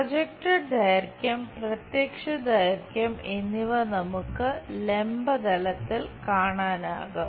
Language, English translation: Malayalam, Projected length, the apparent one we will see it on the vertical plane